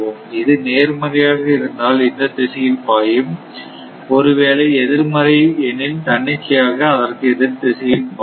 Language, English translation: Tamil, So, if it is if it is positive this direction if it is negative 1, then it will be automatically in other direction